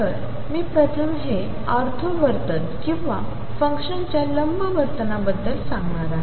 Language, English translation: Marathi, So, this first I am going to talk about of the ortho behavior or the perpendicular behavior of the 2 way function